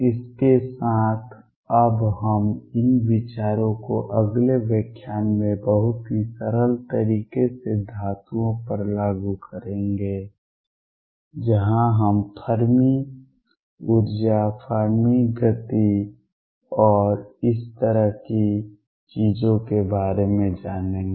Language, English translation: Hindi, With this we will now apply these ideas to metals in a very simple way in the next lecture, where we learn about Fermi energy Fermi momentum and things like this